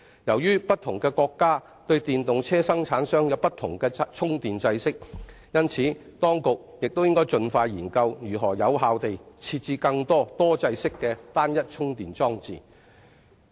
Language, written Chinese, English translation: Cantonese, 由於不同國家生產的電動車有不同的充電制式，因此，當局應盡快研究如何有效地設置更多多制式的單一充電裝置。, As the chargers for EVs produced in different countries adopt different standards the authorities must explore how best to provide a greater number of multi - standard charging units